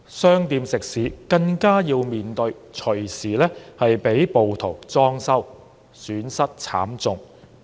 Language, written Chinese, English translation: Cantonese, 商店食肆更要面對隨時被暴徒"裝修"，損失慘重。, Shops and restaurants were also subjected to renovations by the mobs and suffered heavy losses